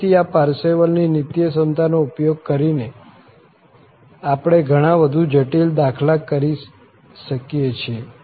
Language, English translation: Gujarati, Again, using this Parseval's Identity, we can do many more complicated sums